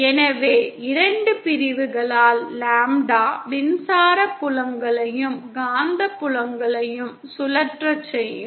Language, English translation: Tamil, So lambda by two separation will cause electric fields and the magnetic fields to rotate